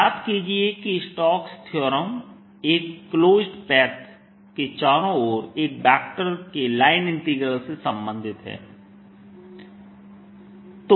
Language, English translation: Hindi, recall that stokes theorem relates the line integral of a vector around a closed path